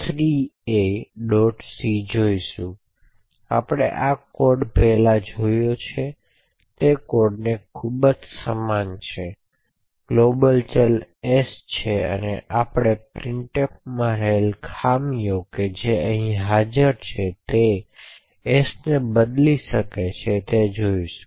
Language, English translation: Gujarati, c, this code is very similar to what we have seen before essentially there is a global variable s and what we do intend to do is to use the vulnerability in the printf which is present here and be able to modify s